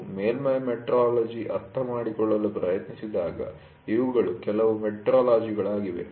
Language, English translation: Kannada, When we try to understand the surface metrology, these are some of the terminologies which are used